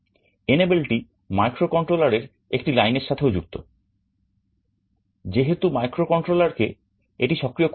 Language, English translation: Bengali, Enable is also connected to one of the microcontroller lines, because microcontroller has to enable it